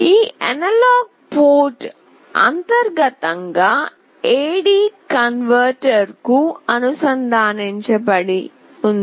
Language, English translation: Telugu, This analog port internally is connected to an AD converter